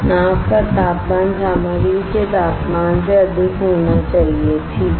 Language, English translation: Hindi, The temperature of the boat should be greater than temperature of the material right